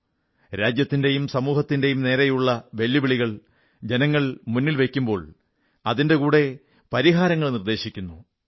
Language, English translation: Malayalam, People bring to the fore challenges facing the country and society; they also come out with solutions for the same